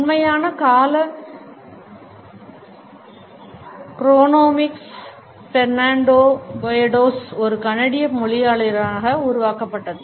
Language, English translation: Tamil, The actual term chronemics was coined in 1972 by Fernando Poyatos, a Canadian linguist and semiotician